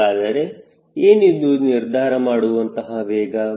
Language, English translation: Kannada, so what is the decision speed